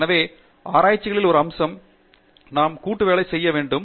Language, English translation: Tamil, So, in research one of the aspects, we have not touched upon so far is Teamwork